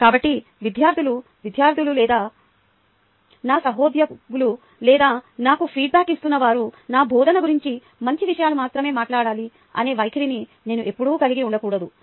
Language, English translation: Telugu, so i should never ah have the attitude that students should only students, or my colleagues or those who are giving me feedback, should a only talk good things about my teaching, right